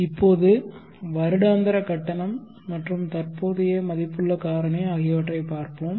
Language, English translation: Tamil, Let us now look at the topic annual payment and present worth factor